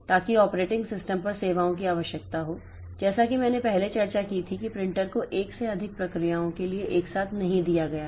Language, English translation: Hindi, So, that requires services from the operating system as I said as we discussed previously the printer is not given simultaneously to more than one process